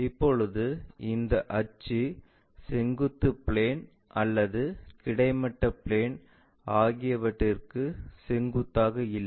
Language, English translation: Tamil, Now, this axis is neither perpendicular to vertical plane nor to this horizontal plane